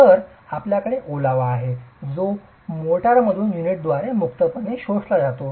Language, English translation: Marathi, So, you have moisture that is freely absorbed by the unit from the motor